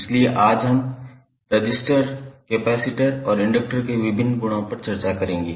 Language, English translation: Hindi, So, today we will discuss the various properties of resistors, capacitors, and inductors